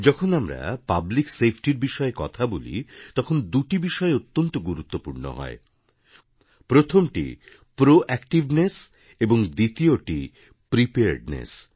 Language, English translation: Bengali, When we refer to public safety, two aspects are very important proactiveness and preparedness